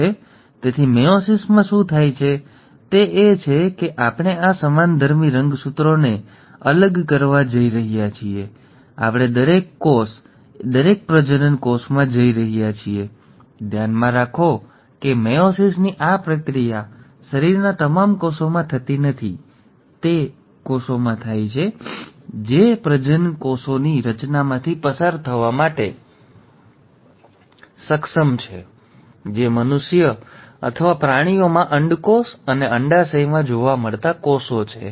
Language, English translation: Gujarati, So what happens in meiosis, is that we are going to separate these homologous chromosomes and we are going to each cell, each reproductive cell; mind you this process of meiosis does not happen in all the cells of the body, it happens in those cells which are capable of undergoing formation of gametes which are the cells found in testes and ovaries in human beings or animals